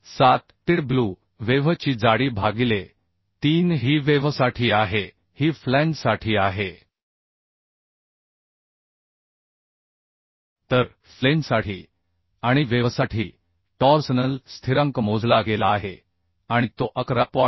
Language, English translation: Marathi, 7 tw okay thickness of web by 3 This is of flange so the torsional constant for flange and for web has been calculated and uhh is found as 11